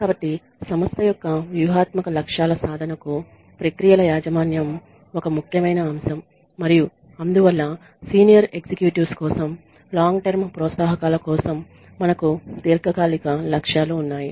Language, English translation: Telugu, So, ownership of processes is an essential element in ensuring the achievement of strategic objectives of the organization and that is why we have long term objectives for senior long sorry long term incentives for senior executives